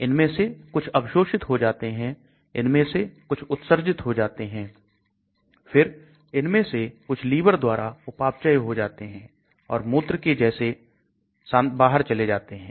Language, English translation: Hindi, Some of them gets absorbed, some of them gets excreted, then some of them get metabolized in the liver and goes away as urine